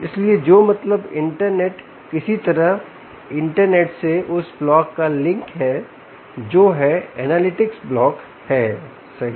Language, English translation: Hindi, somehow there is a link from the internet to the block which is the analytics block, right